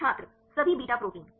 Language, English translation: Hindi, All beta proteins